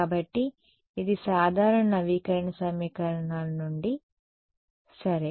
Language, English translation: Telugu, So, this is from usual update equations ok